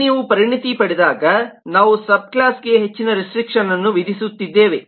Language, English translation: Kannada, so here, when you specialize, we are imposing further restriction on the subclass